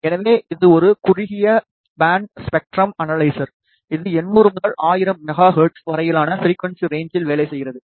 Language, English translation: Tamil, So, this is a narrow band spectrum analyzer, which works from the frequency range of 800 to 1000 megahertz this is a system